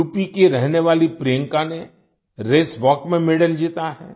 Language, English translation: Hindi, Priyanka, a resident of UP, has won a medal in Race Walk